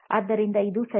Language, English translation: Kannada, So, it is okay